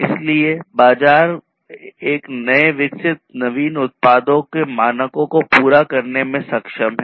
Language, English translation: Hindi, So, markets are able to meet the standards of newly developed innovative products